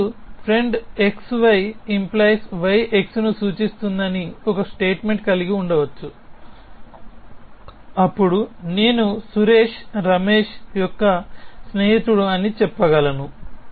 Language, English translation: Telugu, So, you could have a statement which says friend x y implies friend y x essentially, then I could say Suresh is the friend of Ramesh